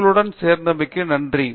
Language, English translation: Tamil, Thank you so much for joining us